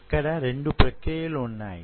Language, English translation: Telugu, So there are two processes